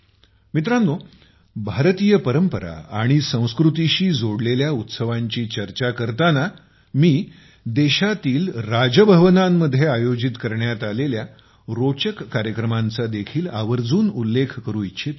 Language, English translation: Marathi, Friends, while discussing the festivals related to Indian tradition and culture, I must also mention the interesting events held in the Raj Bhavans of the country